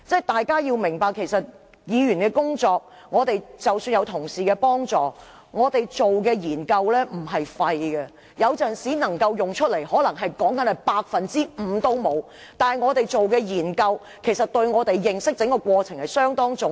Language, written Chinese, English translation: Cantonese, 大家要明白，議員的工作，即使有同事幫助......議員所做的研究不是沒用的，雖然有時能夠派上用場的可能不到 5%， 但我們的研究對認識議題相當重要。, We must understand that even if we Members have assistants to help us with our work the research done by Members is not in vain although sometimes less than 5 % of our efforts are relevant